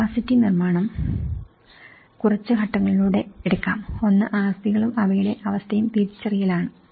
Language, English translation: Malayalam, The capacity building can be taken in few steps; one is the identification of assets and their condition